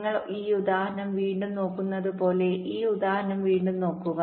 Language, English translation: Malayalam, look at this example again